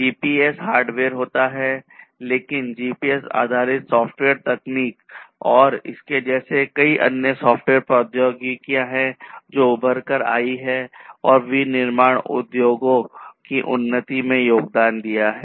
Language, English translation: Hindi, So, GPS; GPS itself is hardware, but you know the GPS based software technologies and like this there are many other software technologies that have emerged and have contributed to the advancement of manufacturing industries